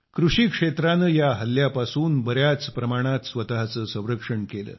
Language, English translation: Marathi, The agricultural sector protected itself from this attack to a great extent